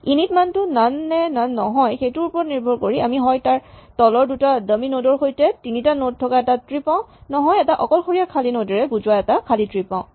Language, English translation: Assamese, So, depending on that the init values none or not none we end up either a tree with three nodes with two dummy nodes below or a single empty node denoting the empty tree